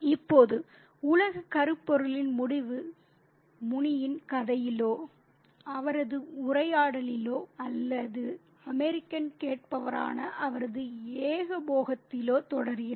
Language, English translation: Tamil, Now, the end of the world theme persists in Muni's narrative in his conversation or in his monologue to which he, to which the American is a listener